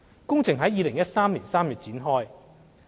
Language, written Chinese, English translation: Cantonese, 工程於2013年3月展開。, The works commenced in March 2013